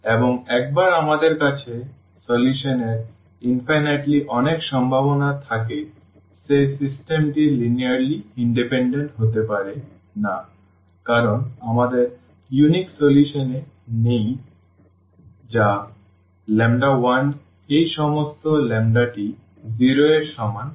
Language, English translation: Bengali, And once we have infinitely many possibilities of the solution that system cannot be linearly independent because we do not have on the unique solution which is lambda 1 all these lambdas to be equal to 0